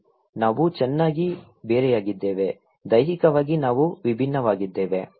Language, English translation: Kannada, Yes, we are different well, physically we are different